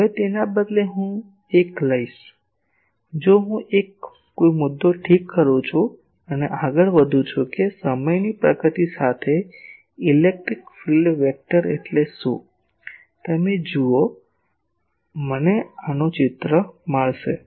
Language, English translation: Gujarati, , Now, instead if I take a; if I fix a point and go on see that what is the polarisation what is the electric field vector as time progresses; you see I will get a picture like this